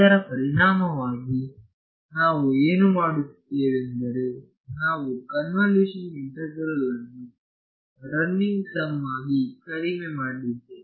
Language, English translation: Kannada, So, what we have done as a result of this is, we have reduced a convolution integral to a running sum ok